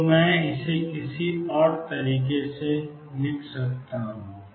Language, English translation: Hindi, So, I can write it either way